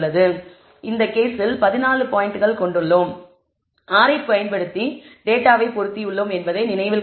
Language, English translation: Tamil, So, in this case we have this fourteen points which we have showed we have fitted the data using R